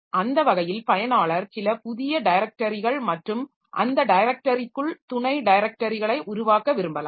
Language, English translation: Tamil, So, that way user may like to create some new directories and subdirectors and within that directory so they can like to create or create some file etc